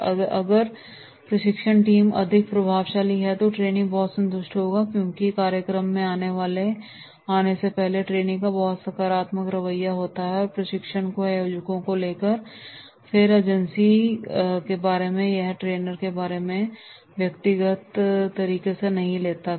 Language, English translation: Hindi, And if it will be the training team is more effective, the trainees will be satisfied and the group process because before coming to the training program trainee is having very positive opinion about the organisers, about that agency, about that trainer that is no he takes it personally right